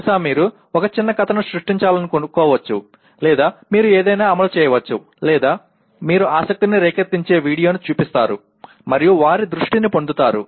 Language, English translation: Telugu, Maybe you want to create a small story or you enact something or you show a video that arouses the interest and to get the attention of that